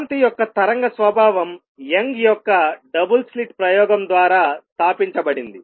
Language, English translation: Telugu, The wave nature of light was established by Young’s double slit experiment